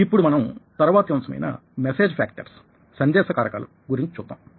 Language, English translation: Telugu, now lets move on to the next component, which is the message factors